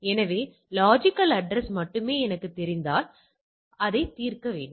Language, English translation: Tamil, So, if I only know the logical address I need to resolve that